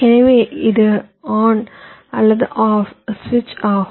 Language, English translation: Tamil, so it is either a on, ah on, or a off switch